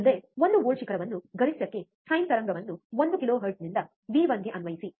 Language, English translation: Kannada, Next apply one volt peak to peak, sine wave at one kilohertz to v 1